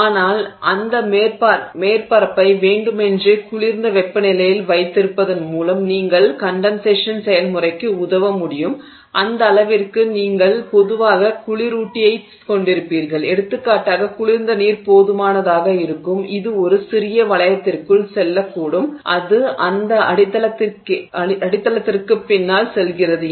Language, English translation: Tamil, The substrate may stage around room temperature that is basically what you are likely to see but you can assist the condensation process by deliberately keeping that surface at a colder temperature and to that extent you typically will have a coolant and for example cold water would suffice which can go into a small loop which goes just behind that substrate